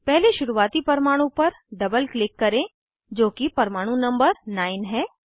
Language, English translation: Hindi, First double click on the starting atom, which is atom number 9